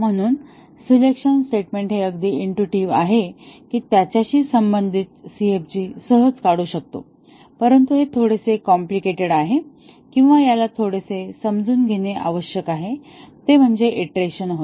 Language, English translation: Marathi, So, a selection statement is quite intuitive we can easily draw the CFG corresponding to that, but the one which is slightly complicated or which requires little bit of understanding is for iteration